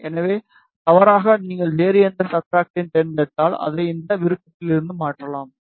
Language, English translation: Tamil, So, mistakenly if you select any other substrate you can change it from this option